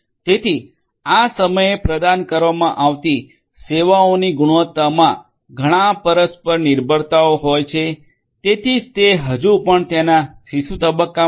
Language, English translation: Gujarati, So, quality of services offered at this point has lot of interdependencies that is why it is still in its that is why it is still in its infant stages